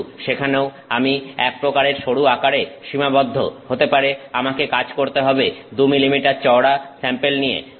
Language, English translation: Bengali, But, there also I am sort of restricted to thinner dimensions, I maybe have to work with say 2 millimetre thick sample